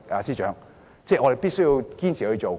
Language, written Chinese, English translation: Cantonese, 司長，我們必須堅持進行。, Financial Secretary we have to pursue this policy persistently